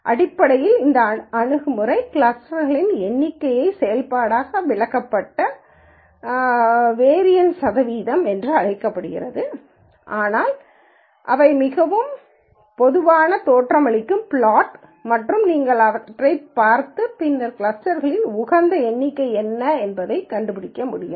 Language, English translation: Tamil, So, basically this approach uses what is called a percentage of variance explained as a function of number of clusters but those are very typical looking plots and you can look at those and then be able to figure out what is the optimal number of clusters